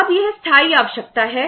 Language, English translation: Hindi, Now this is the permanent requirement